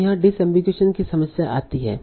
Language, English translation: Hindi, So there is a problem of disambigration here